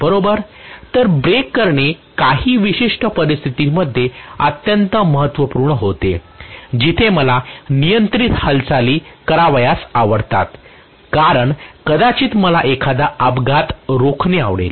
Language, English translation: Marathi, So braking becomes extremely important under certain conditions where I would like to have a controlled movement because I might like to prevent an accident